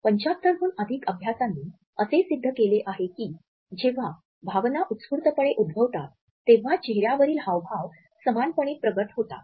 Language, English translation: Marathi, Over 75 studies have demonstrated that these very same facial expressions are produced when emotions are elicited spontaneously